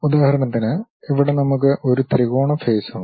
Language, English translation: Malayalam, For example, here we have a triangular face